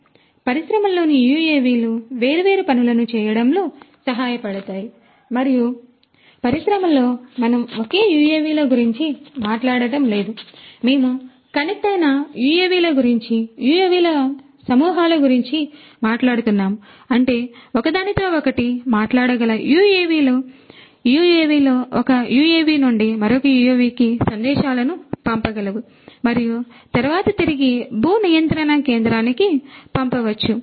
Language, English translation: Telugu, So, UAVs in the industry can help in doing number of different things and in the industry we are not just talking about single UAVs, we are talking about connected UAVs, swarms of UAVs; that means, UAVs which can talk to one another, UAVs which can send messages from one UAV to another UAV and maybe then back to the terrestrial control station and so on